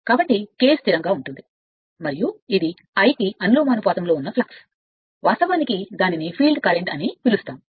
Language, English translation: Telugu, So K is the constant and this is the flux and flux proportional to the i if the your what you call that your field current